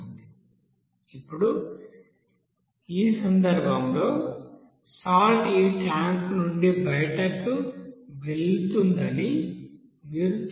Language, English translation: Telugu, Now in this case you will see that the salt will be you know leaving from this tank